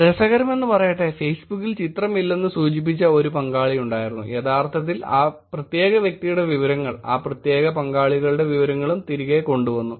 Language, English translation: Malayalam, Interestingly there was also a participant who mentioned that he did not have the picture on Facebook, actually information of that particular person, of that particular participants was also brought back